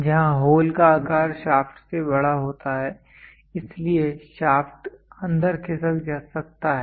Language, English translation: Hindi, Where the hole size is larger than the shaft so the shaft can slip inside